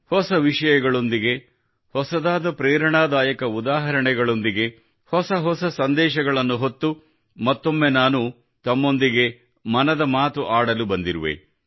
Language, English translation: Kannada, With new topics, with new inspirational examples, gathering new messages, I have come once again to express 'Mann Ki Baat' with you